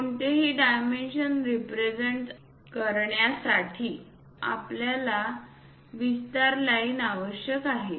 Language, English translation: Marathi, If to represent any dimensions we require extension lines